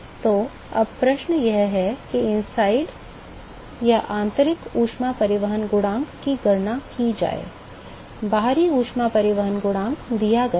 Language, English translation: Hindi, So, now, the question is to calculate the inside heat transport coefficient, outside heat transport coefficient is given